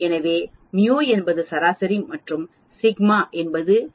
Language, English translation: Tamil, So mu is the mean or the average and sigma is the standard deviation